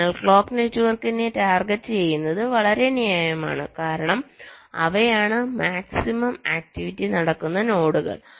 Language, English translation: Malayalam, so targeting the clock network is very justified in the sense because those are the nodes where maximum activity is happening